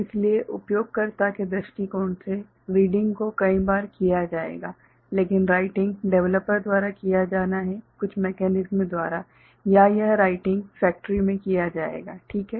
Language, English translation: Hindi, So, from the user point of view reading will be done multiple times, but writing is to be done by the developer, by certain mechanism or it will be, writing will be done in the factory end